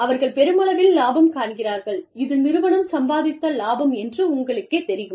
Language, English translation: Tamil, And, they see, these many profits, you know, this is the profit, that the organization has made